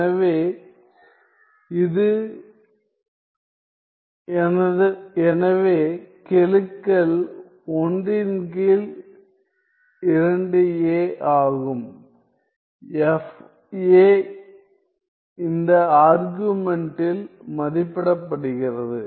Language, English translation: Tamil, So, this is; so the coefficients are 1 by 2 a, fa evaluated at this argument